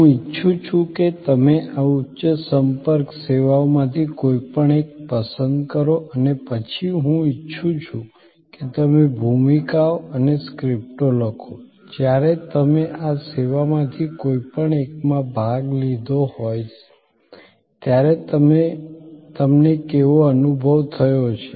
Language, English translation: Gujarati, I would like you to choose any one of this high contact services and then, I would like you to write the roles and the scripts, that you have experience when you have participated in any one of this services